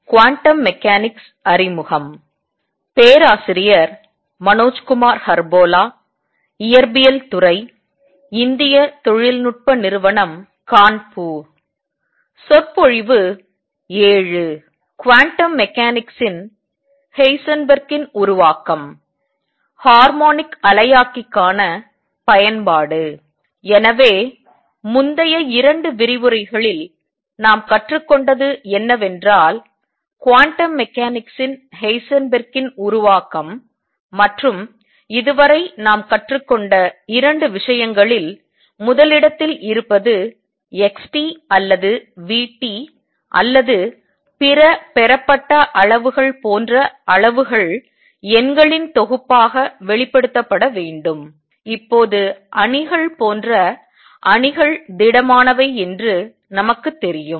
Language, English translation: Tamil, So, what we have learnt in the previous 2 lectures is the Heisenberg’s formulation of quantum mechanics and 2 things that we have learned so far our number one that quantities like xt or vt or other derived quantities are to be expressed as a collection of numbers, which we now know are matrices solid as matrices